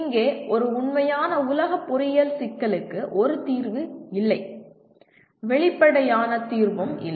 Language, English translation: Tamil, Here a real world engineering problem does not have a single solution and also not an obvious solution